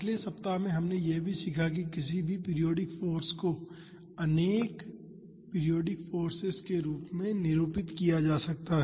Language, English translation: Hindi, In the last week we also saw that, any periodic force can be represented in terms of multiple harmonic forces